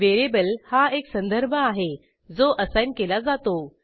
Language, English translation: Marathi, Variable is a reference that can be assigned